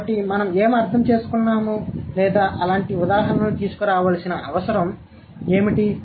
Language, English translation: Telugu, So, what do we understand or what is the need of bringing in examples like that